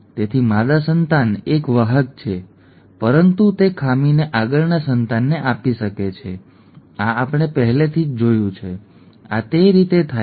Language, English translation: Gujarati, Therefore female offspring is a carrier, is not affected but can pass on to the pass on the defect to the next offspring, this we have already seen, okay, this is the way it happens